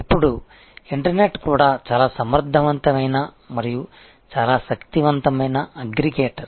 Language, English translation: Telugu, Now, the internet itself is a very efficient and very powerful aggregator